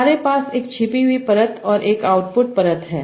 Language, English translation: Hindi, You have a single hidden layer and an output layer